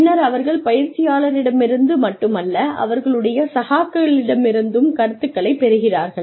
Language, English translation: Tamil, And then, they get feedback, not only from the trainer, but also from their peers